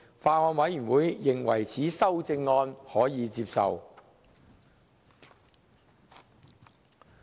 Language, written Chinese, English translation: Cantonese, 法案委員會認為此修正案可接受。, The Bills Committee considered the proposed CSA acceptable